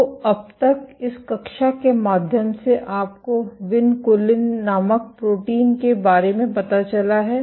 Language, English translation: Hindi, So, by now through this class you have got to know about protein called vinculin